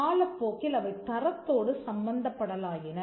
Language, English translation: Tamil, Over a period of time, they came to be attributed to quality